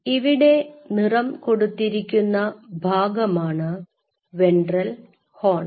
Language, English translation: Malayalam, The shaded region is the ventral horn, ventral horn